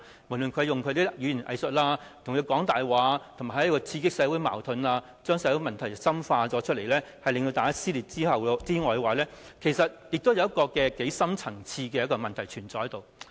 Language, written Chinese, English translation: Cantonese, 無論是他用語言"偽術"、講大話或刺激社會矛盾，將社會問題深化而令社會撕裂外，其實亦有一個深層次的問題存在。, No matter he uses weasel words or lies or tries to instigate social conflicts thereby intensifying the social issues and aggravating the social cleavage there is nevertheless a deep - seated problem